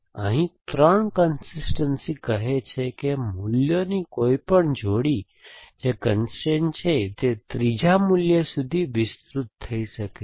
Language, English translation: Gujarati, So, 3 consistencies say that any pair of values which are constraint can be a extended to a third value